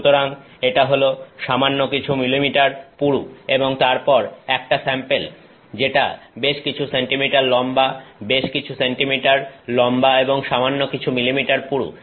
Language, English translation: Bengali, So, this is the few millimeters thick and then a sample that is several centimeters tall, several centimeters tall and a few millimeters thick